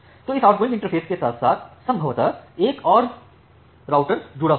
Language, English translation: Hindi, So, with this outgoing interface possibly another router this is connected